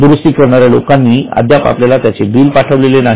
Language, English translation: Marathi, The particular party who has done the repair has not yet sent the bill